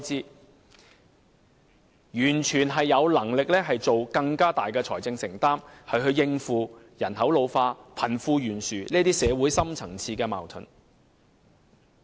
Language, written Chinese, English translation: Cantonese, 政府完全有能力作出更大的財政承擔，應付人口老化、貧富懸殊等社會深層次矛盾。, The Government absolutely has the means to make a greater financial commitment for tackling deep - rooted conflicts in society such as an ageing population and the disparity between the rich and the poor